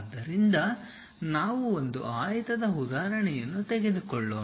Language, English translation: Kannada, So, let us take an example a rectangle